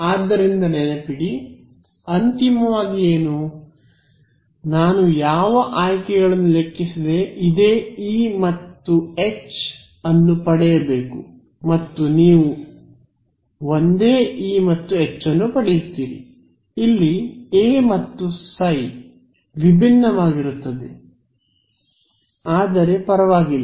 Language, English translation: Kannada, So, remember so, what finally, what should it be consistent with I should get this same E and H regardless of whatever choices I have made and you will get the same E and H, your form for A and phi will be different, but that does not matter ok